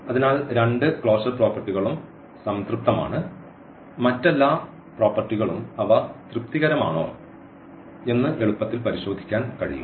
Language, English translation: Malayalam, So, the both the closure properties are satisfied, all other properties one can easily check that they are also satisfied